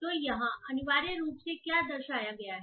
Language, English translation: Hindi, So, what essentially is represented here